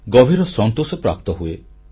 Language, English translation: Odia, It gives you inner satisfaction